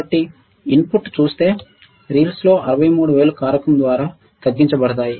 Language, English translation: Telugu, So, the ripple seen by the input will be reduced by factor of 63000